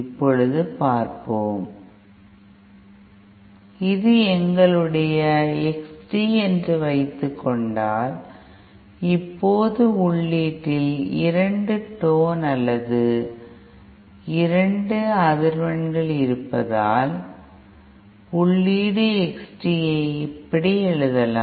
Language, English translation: Tamil, Now let us see, if we suppose our X t, since now we have 2 tones or 2 frequencies at the input, we can write our input X t like this